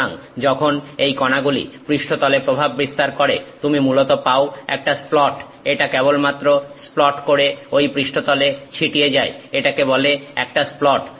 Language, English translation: Bengali, So, when this particle impacts that surface you essentially have a splat, it just splats splatters on that surface it is called a splat